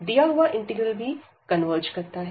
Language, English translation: Hindi, So, in that case the other integral will also converge